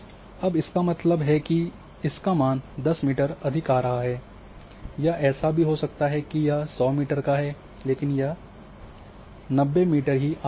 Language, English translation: Hindi, Now, so that means, 10 meter plus value are this coming or there might be case where suppose to be 100 meter, but it is coming 90 meter